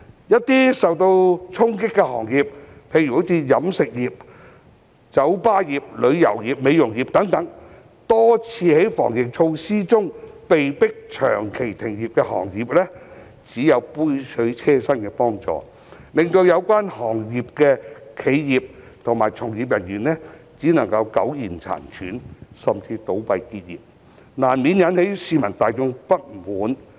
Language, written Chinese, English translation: Cantonese, 一些受到衝擊的行業，例如飲食業、酒吧業、旅遊業和美容業等多次在防疫中被迫長期停業的行業，只有杯水車薪的幫助，令有關行業的企業及從業員只能苟延殘喘，甚至倒閉結業，這難免引起市民大眾不滿。, Meanwhile some hard - hit industries such as the catering bar tourism and beauty industries which have been forced to close for a long time during the epidemic have been given far from adequate assistance . The enterprises and practitioners in these industries have been left struggling to keep their heads above water and some have even been forced to close down . The public will inevitably be discontented